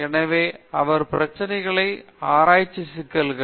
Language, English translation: Tamil, So, his ideas on research problems